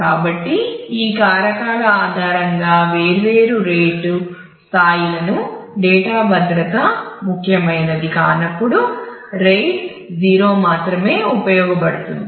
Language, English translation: Telugu, So, based on these factors different rate levels can be looked at RAID 0 is used only when data safety is not important